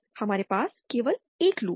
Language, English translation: Hindi, We have only one loop